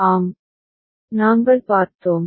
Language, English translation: Tamil, Yes, we had seen